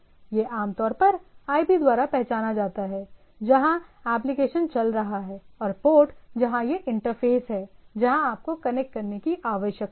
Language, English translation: Hindi, It is a typically identified by the IP where the application is running and the port where it’s the interface where you need to connect to